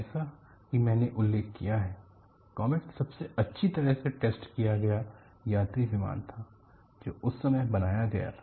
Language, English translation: Hindi, As I mentioned, comet was the most thoroughly tested passenger plane, ever built at that time